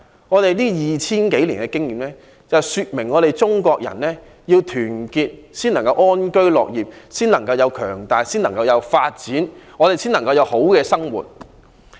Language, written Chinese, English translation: Cantonese, 我們這 2,000 多年的經驗，說明我們中國人要團結，國家才能強大，才能有發展，我們才能安居樂業，才能有好的生活。, Our experience over the past 2 000 years or so has indicated that only when we Chinese are united can our country be strong and development can proceed hence we can live and work in contentment and live a better life